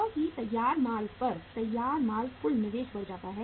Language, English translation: Hindi, Because the finished goods at the finished goods stage total investment increases